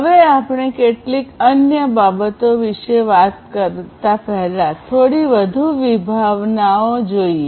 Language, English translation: Gujarati, Now, let us look at few more concepts before we talk about few other things